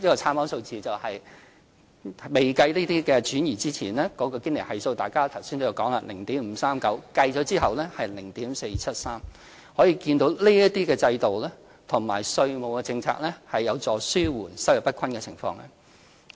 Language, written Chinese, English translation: Cantonese, 參考數字：未計算這些轉移之前，堅尼系數——大家剛才都有提及——是 0.539， 計算後是 0.473， 可見這些制度和稅務政策有助紓緩收入不均的情況。, Figures for reference the coefficient is 0.539 before the transfer which Members have touched upon . The coefficient after taking all the measures into account is 0.473 . This indicates how these measures and tax policies have helped narrowing the income gap